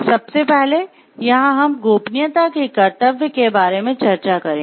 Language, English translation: Hindi, First here we will be discussing about the duty of confidentiality